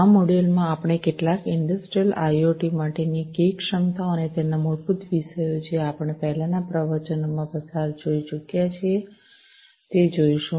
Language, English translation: Gujarati, In this module, we are going to go through, some of the Key Enablers for Industrial IoT, and the basics of which we have already gone through in the previous lectures